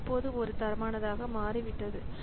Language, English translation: Tamil, So it it has become a standard now